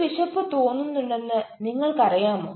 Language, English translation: Malayalam, are you aware that you are feeling hungry